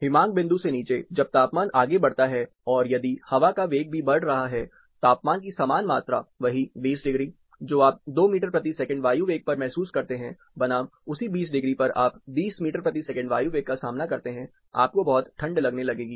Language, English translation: Hindi, Below freezing point, as a temperature goes further and further, and if the wind velocities are increasing, the same amount of temperature, the same 20 degrees, which you pursue at 2 meter per second air velocity, versus the same 20 degree you face a 20 meter per second air velocity, you will start feeling very cold